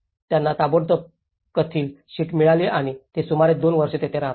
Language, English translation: Marathi, They got the tin sheets immediately and they have lived here for about two years